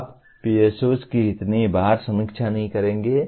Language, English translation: Hindi, You will not be reviewing PSOs ever so often